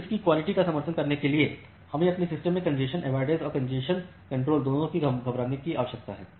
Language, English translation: Hindi, So, to support quality of service we need to run both congestion avoidance as well as congestion control in our system